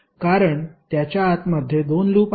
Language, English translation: Marathi, Because it contains 2 loops inside